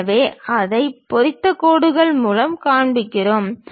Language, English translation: Tamil, So, we show it by hatched lines